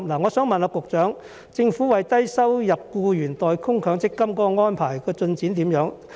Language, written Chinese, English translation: Cantonese, 我想問局長，政府為低收入僱員代供強積金的安排進展如何？, I wish to ask the Secretary what progress has been made on the Governments arrangement for paying MPF contributions for low - income workers